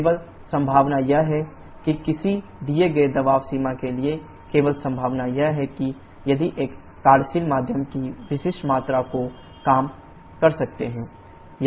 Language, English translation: Hindi, Only possibility is that for a given pressure range of course only possibility is that if we can reduce the specific volume of the working medium